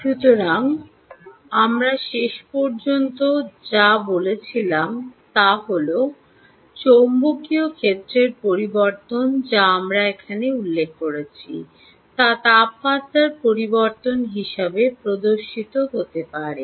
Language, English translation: Bengali, so what we finally concluded is that change in magnetic field, which we mentioned here, can be demonstrated as change in temperature, right